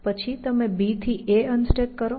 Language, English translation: Gujarati, Then, you unstack a from b